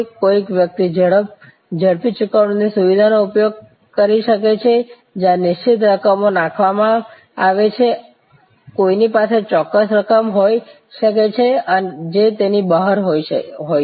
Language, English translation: Gujarati, Somebody may use the quick pay facility where fixed amounts are tabulated, somebody may have a particular amount which is outside that